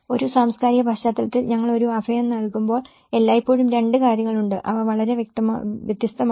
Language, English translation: Malayalam, In a cultural context, when we are providing a shelter, there is always two and they are very distinct